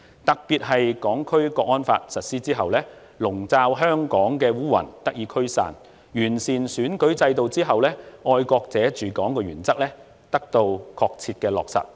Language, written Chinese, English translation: Cantonese, 特別是《香港國安法》實施後，籠罩香港的烏雲得以驅散；完善選舉制度後，"愛國者治港"的原則得到確切的落實。, Especially after the implementation of the Hong Kong National Security Law the cloud over Hong Kong has been dispersed; the principle of patriots administering Hong Kong has been duly implemented after the improvement to the electoral system